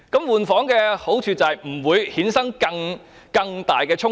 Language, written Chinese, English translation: Cantonese, "換房"的好處是不會衍生更大的衝突。, An advantage of changing room is that it will not give rise to bigger conflicts